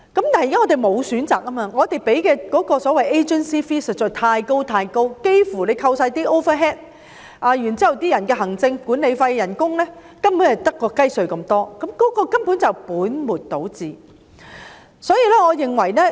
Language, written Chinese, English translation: Cantonese, 我們的問題是沒有選擇，我們要支付的所謂 agency fee 實在太高，扣除全部 overhead cost 及行政費、管理費及工資等，利潤所餘無幾，根本是本末倒置。, Our problem is that we do not have options . We have to pay the so - called agency fee which is excessively high . After deducting the overhead cost administration fees management fees and wages little profit is left